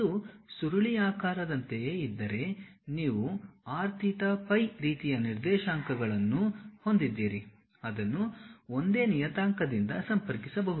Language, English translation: Kannada, If it is something like a spiral you have r theta phi kind of coordinates which can be connected by one single parameter